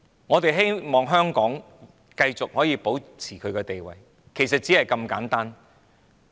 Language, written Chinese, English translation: Cantonese, 我們希望香港繼續可以保持其地位，其實只是如此簡單。, We hope that Hong Kong can continue to maintain its status and it is as simple as that really